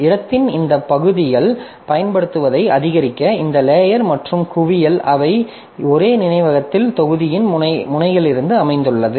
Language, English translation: Tamil, So, to maximize the utilization of this part of the space, so the stack and hips, so they are allocated from the two ends of the same memory block